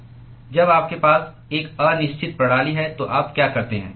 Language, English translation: Hindi, When you have an indeterminate system what do you do